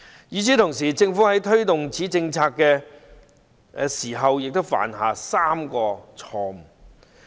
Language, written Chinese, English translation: Cantonese, 與此同時，政府在推動此政策時也犯下3個錯誤。, Meanwhile the Government has made three mistakes when taking forward this policy